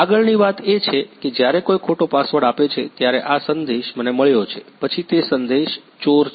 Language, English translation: Gujarati, Next thing is, this is the message I got when someone gives the wrong password, then its send the Thief